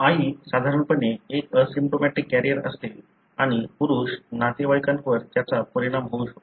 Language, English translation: Marathi, The mother is normally an asymptomatic carrier and may have affected male relatives